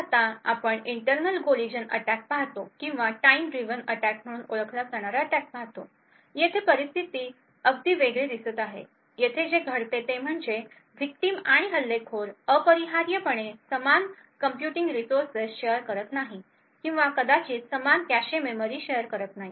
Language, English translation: Marathi, So now we look at internal collision attacks or properly known as time driven attacks, here the scenario looks very different, here what happens is that the victim and the attacker may not necessarily share the same computing resource, or may not necessarily share the same cache memory